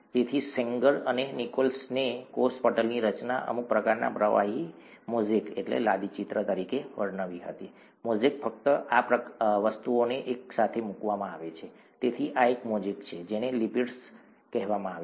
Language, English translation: Gujarati, So Sanger and Nicholson described the structure of a cell membrane as some kind of a ‘fluid mosaic’; mosaic is just these things put in together, so this is a mosaic of, what are called ‘lipids’